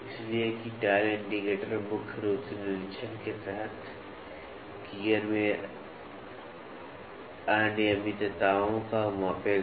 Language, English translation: Hindi, So, that the dial indicator will primarily measures the irregularities in the gear under inspection